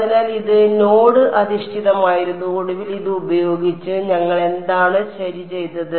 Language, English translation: Malayalam, So, this was node based and finally, with this so, what did we right